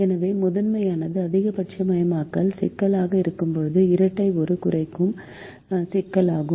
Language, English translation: Tamil, so when the primal is a maximization problem, the dual is a minimization problem